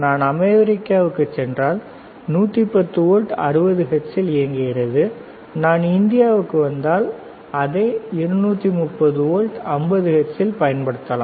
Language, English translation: Tamil, If I go to US, I can use it 8, 110 volt 60 hertz if I come to India, I can use it at 230 volts 50 hertz